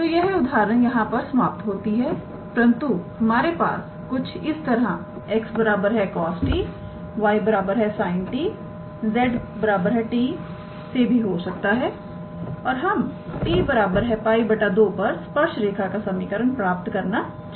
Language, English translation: Hindi, So, this example ends here , but we can have something like x equals to cos t, y equals to sin t and z equals to t and let us say we want to find the equation of the tangent line at the point t equals to pi by 2